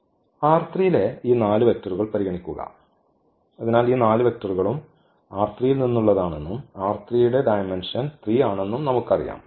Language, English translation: Malayalam, Consider this 4 vectors in this R 3; so, if we consider these 4 vectors are from R 3 and we know the dimension of R 3 is 3